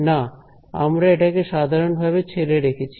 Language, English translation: Bengali, No, right we just left it generally ok